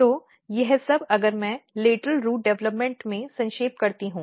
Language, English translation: Hindi, So, this all if I summarize in lateral root development